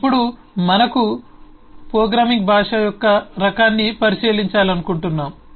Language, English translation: Telugu, we would like to take a look into the type of a programming language